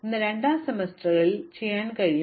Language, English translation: Malayalam, So, in my second semester I can do 3, 4 and 5